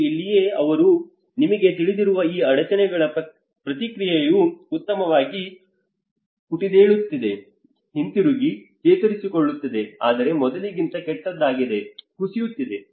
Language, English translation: Kannada, And this is where the reaction to these disturbance you know so bounce back better, bounce back, recover but worse than before, collapse